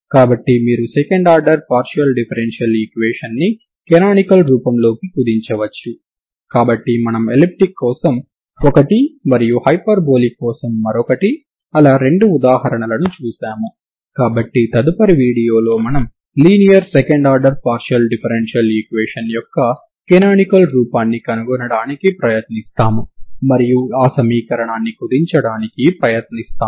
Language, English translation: Telugu, So this is how you can reduce second order partial differential equation into canonical form so we have seen two examples one for hyperbolic one for elliptic so in the next video we will try to find canonical form of a linear second order partial differential equation will try to reduce so that equation